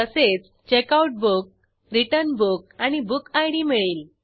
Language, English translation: Marathi, Similarly we get checkout book, return book and book id